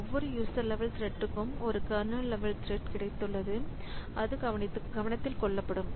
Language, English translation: Tamil, So, for every user level thread I have got a kernel level thread which will be taking care of that